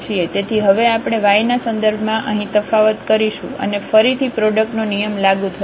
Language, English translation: Gujarati, So, in now we will differentiate here with respect to y and again the product rule will be applicable